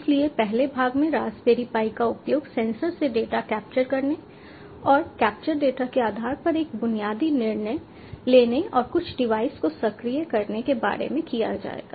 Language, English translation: Hindi, so in part one will be discussing about using raspberry pi to capture data from sensors and making a basic decision on the basis of capture data to actuate some device